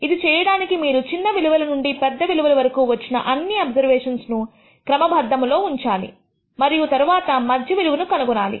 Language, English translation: Telugu, For doing this you have to order all the observations that you have got from smallest to highest and then find out the middle value